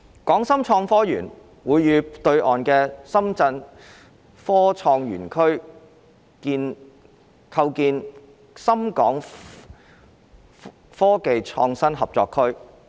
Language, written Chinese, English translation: Cantonese, 港深創科園會與對岸的深圳科創園區構建深港科技創新合作區。, HSITP and the Shenzhen Innovation and Technology Zone on the other side of the river will form the Shenzhen - Hong Kong Innovation and Technology Co - operation Zone